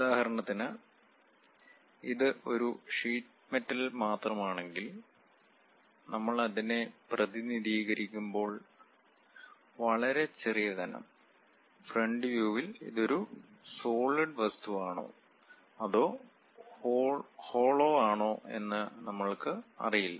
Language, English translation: Malayalam, For example, if it is just a sheet metal, a very small thickness when we are representing it; at the front view, we do not know whether it is a solid object or it is a hollow one